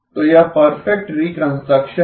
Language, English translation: Hindi, So this is perfect reconstruction